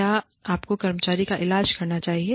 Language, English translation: Hindi, Should you treat the employee